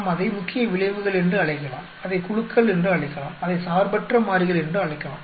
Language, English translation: Tamil, We can call it main effects, we can call it groups, we can call it independent variables